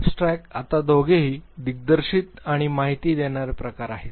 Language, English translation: Marathi, Abstract is now both of them are directing and informing type